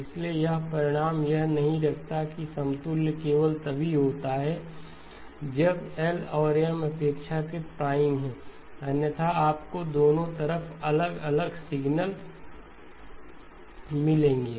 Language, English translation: Hindi, So therefore this result does not hold that the equivalence only holds when L and M are relatively prime otherwise you will get different signals on both sides okay